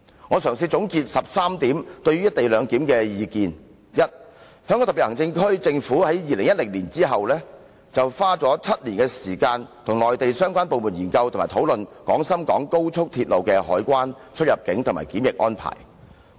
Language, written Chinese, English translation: Cantonese, 我嘗試總結13點對於"一地兩檢"的意見：第一，香港特別行政區政府自2010年後，花了7年時間與內地相關部門研究及討論廣深港高鐵的海關、出入境及檢疫安排。, I try to summarize the views concerning the co - location arrangement in 13 points First the Hong Kong Special Administrative Region SAR Government has spent seven years since 2010 to examine and discuss with the relevant Mainland departments the customs immigration and quarantine arrangements for the Guangzhou - Shenzhen - Hong Kong Express Rail Link XRL